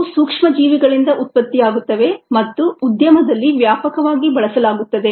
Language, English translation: Kannada, these are ah produced by microorganisms and are extensively used in the industry